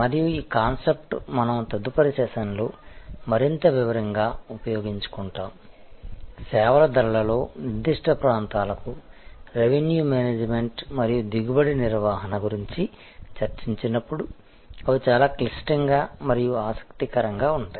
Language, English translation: Telugu, And this concept, we will utilize in more detail in the next session, when we discuss about revenue management and yield management to particular areas in services pricing, which are quite intricate and quite interesting